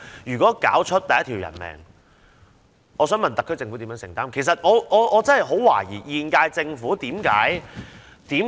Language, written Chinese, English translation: Cantonese, 如果搞出第一條人命，我想問特區政府如何承擔，這點我真的很懷疑。, Had the loss of the first life occurred how can the SAR Government bear the responsibility? . I have great doubts about this